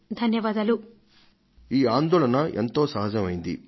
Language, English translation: Telugu, Sharmilaji, your concern is quite genuine